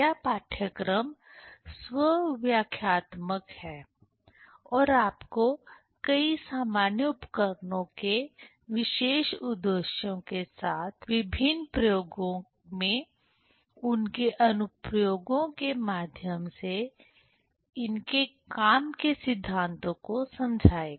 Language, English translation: Hindi, This course is self explanatory and will make you understand the working principles of many common devices through their applications in different experiments with particular aims